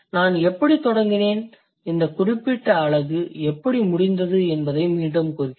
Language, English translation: Tamil, So, let me just recap how I started and how I ended this particular unit